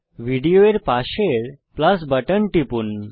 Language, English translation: Bengali, Click on the PLUS button next to Video